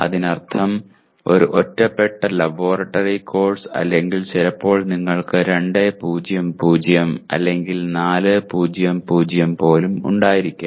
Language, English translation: Malayalam, That means a standalone laboratory or occasionally you may have 2:0:0 or even 4:0:0